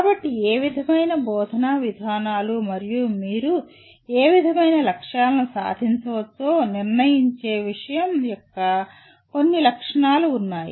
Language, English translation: Telugu, So there is some features of the subject that determine what kind of instructional procedures and what kind of objectives that you can achieve